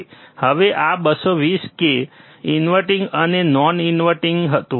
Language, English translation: Gujarati, Now, this was about ~220 k, 220 k inverting and non inverting